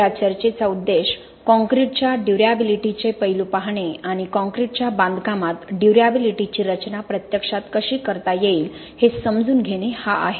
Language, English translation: Marathi, The purpose of this talk is to look at aspects of durability of concrete and try and understand how durability can be actually designed for in concrete construction